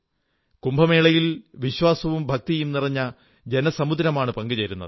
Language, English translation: Malayalam, In the Kumbh Mela, there is a tidal upsurge of faith and reverence